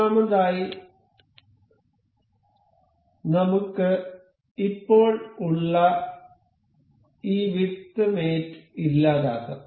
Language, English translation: Malayalam, First of all, let us just delete this width mate that we have just in